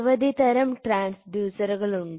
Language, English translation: Malayalam, These two figures are transducers